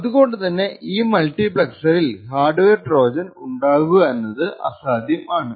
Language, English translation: Malayalam, So, it is in this region that a hardware Trojan is likely to be present